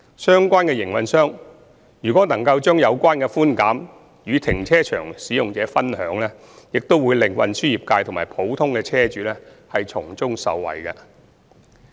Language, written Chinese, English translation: Cantonese, 相關營運商若能把有關寬減與停車場使用者分享，將會令運輸業界及普通車主從中受惠。, If the relevant operators would share such concessions with the car park users this will benefit the transport trades and car owners in general